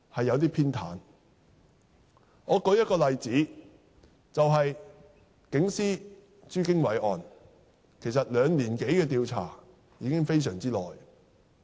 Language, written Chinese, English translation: Cantonese, 讓我舉一個例子，就警司朱經緯一案，其實兩年多的調查已是很長時間。, Concerning the case of Franklin CHU actually an investigation has been carried out for more than two years which is already a long time